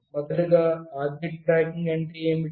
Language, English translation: Telugu, Firstly, what is object tracking